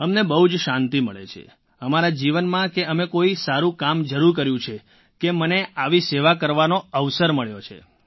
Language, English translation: Gujarati, It gives us a lot of satisfaction…we must have done a good deed in life to get an opportunity to offer such service